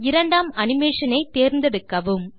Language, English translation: Tamil, Select the second animation